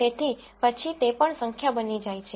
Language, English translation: Gujarati, So, then those also become number